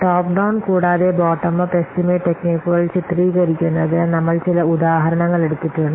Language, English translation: Malayalam, Also, we have taken some examples to illustrate the top down and the bottom of estimation techniques